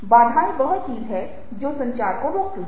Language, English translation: Hindi, barriers are things which stop communication